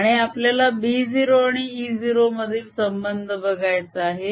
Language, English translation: Marathi, and we want to see the relationship between b zero and e zero